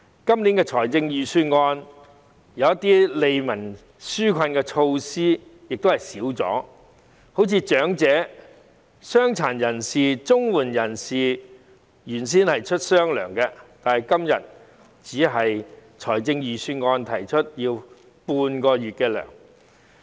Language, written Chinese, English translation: Cantonese, 今年預算案中一些利民紓困的措施亦已減少，例如長者、傷殘人士、綜援人士原先是有"雙糧"的，但今次的預算案只提出發放半個月糧。, In this years Budget certain measures to relieve the publics hardship have also been watered down . For example the elderly the disabled and CSSA recipients were previously given double pay but the Budget only proposes to provide them with half a months pay